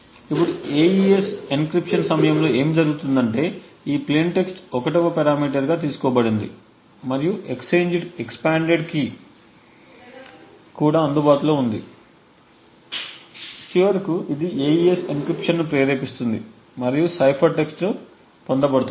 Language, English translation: Telugu, Now what happens during the AES encryption is there is this plain text which is taken as the 1st parameter and there is an expanded key which is also available and finally this would trigger the AES encryption to occur and the cipher text is obtained